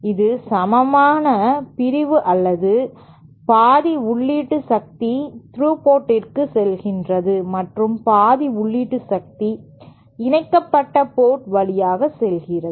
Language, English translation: Tamil, That is equal division or half of the power goes input power goes to the coupled port and half of the input power goes to the through port